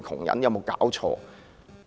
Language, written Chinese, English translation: Cantonese, 有無搞錯？, Are you kidding?